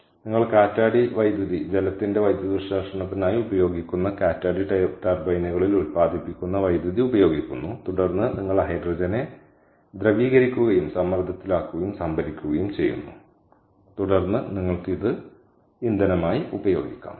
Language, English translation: Malayalam, all right, so you have to get hydrogen from wind power via electrolysis, so you use wind power, the electricity generated in wind turbines that is used for electrolysis of water, and then you liquefy the hydrogen, pressurizing it and then store it and that you then you can use it as a fuel